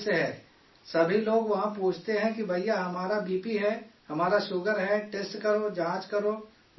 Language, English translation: Urdu, Everyone there asks that brother, we have BP, we have sugar, test, check, tell us about the medicine